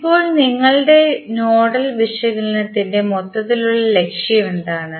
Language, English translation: Malayalam, Now, what is the overall objective of our nodal analysis